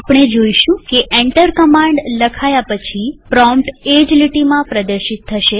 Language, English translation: Gujarati, We will see that the prompt will be displayed after printing enter a command on the same line